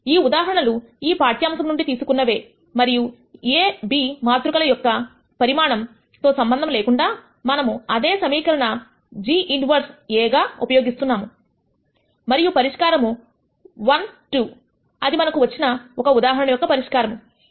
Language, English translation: Telugu, These are the examples that were picked from this lecture itself and we show that irrespective of whatever be the sizes of this matrices a and b, we use the same equation g inverse A and the solution 1 2 that we got in one example and the solution minus 0